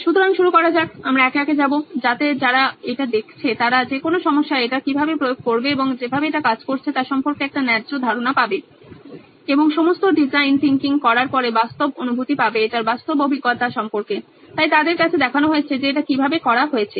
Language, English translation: Bengali, So let’s start with say we’ll go one by one, so that people who are viewing this will get a fair bit of idea as to how to apply this in any problem that they are working on and get real feel for after all design thinking is about practical experience so that’s why demonstrating to them how it’s done